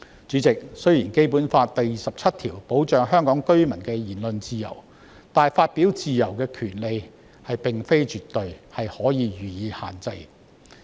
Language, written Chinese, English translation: Cantonese, 主席，雖然《基本法》第二十七條保障香港居民的言論自由，但發表言論的自由並非絕對，是可以予以限制的。, President although Article 27 of the Basic Law protects the freedom of speech of Hong Kong residents the freedom of speech is not absolute and it can be restricted